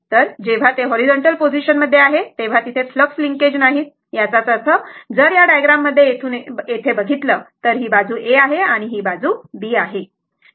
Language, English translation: Marathi, So, there will be no flux linkage when it is at the horizontal position; that means, if you look into this diagram from here to here, this side is A and this side is B, right